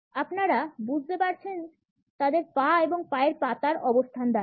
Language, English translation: Bengali, You got it, by the position of their legs and feet